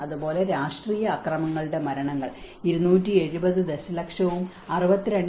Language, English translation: Malayalam, Similarly, you can see the deaths of the political violence is 270 millions and 62